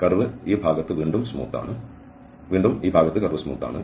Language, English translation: Malayalam, The curve is a smooth again in this part the curve is smooth and again in this part the curve is smooth